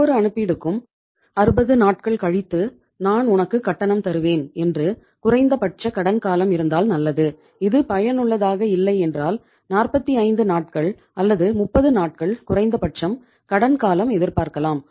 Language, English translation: Tamil, Every consignment for Iíll pay you after 60 days but if it is not that much efficient minimum credit period you can expect for 45 days or at least for 30 days